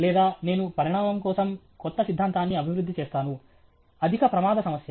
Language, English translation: Telugu, Or I will develop a new theory for the evolution; high risk problem okay